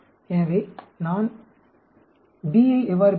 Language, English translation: Tamil, So, how do I get B